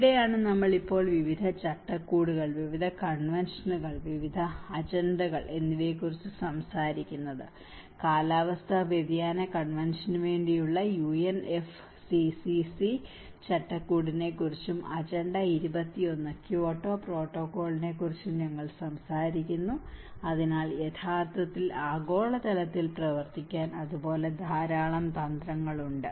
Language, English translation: Malayalam, So that is where we are now talking about various frameworks, various conventions, various agendas, we talk about UNFCCC framework for climate change convention and agenda 21, Kyoto protocol, so there are a lot of strategies which is actually working out as a global level as well